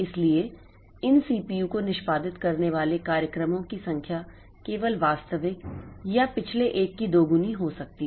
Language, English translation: Hindi, So, they are the number of the programs that these CPUs can execute is just doubled of the actual or previous one